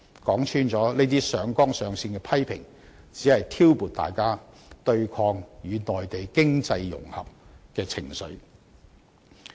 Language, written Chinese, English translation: Cantonese, 說穿了，這些上綱上線的批評，只是挑撥大家對抗與內地經濟融合的情緒。, To put it bluntly such criticisms are completely out of proportion and their only purpose is to stir up public sentiments against economic integration with the Mainland